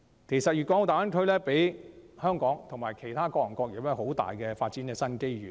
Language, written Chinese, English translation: Cantonese, 其實，大灣區為香港其他各行各業也帶來很大的發展新機遇。, In fact the Greater Bay Area ushers in great opportunities for the development of other industries in Hong Kong as well